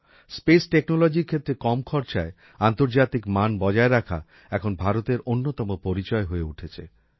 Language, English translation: Bengali, In space technology, World class standard at a low cost, has now become the hallmark of India